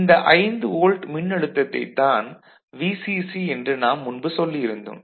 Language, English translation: Tamil, So, this is 5 volt that is the VCC that we have already mentioned